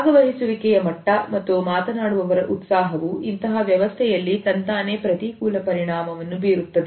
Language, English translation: Kannada, The level of participation as well as the enthusiasm of the speakers would automatically be adversely affected in this situation